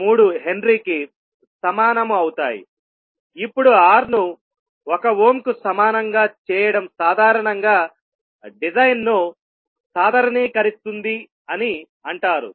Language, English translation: Telugu, 3 henry, now making R equal to 1 ohm generally is said that it is normalizing the design